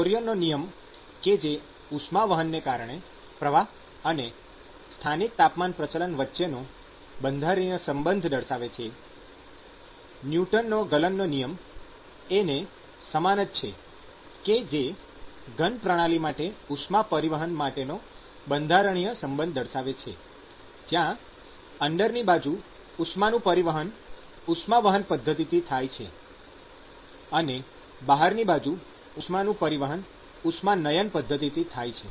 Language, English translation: Gujarati, Similar to Fourier's law, which is the constitutive relationship between the flux due to conduction and the local temperature gradient, Newton’s law of cooling is the constitutive relationship for heat transport from a solid system where conduction is the mode of heat transport inside and there is a convection outside the solid